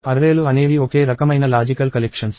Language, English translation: Telugu, So, arrays are logical collections of the same type